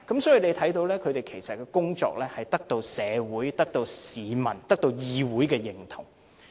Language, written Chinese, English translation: Cantonese, 所以，大家看到其實它的工作是獲得社會、市民和議會認同的。, We thus see that its work is actually recognized by society the public and this Council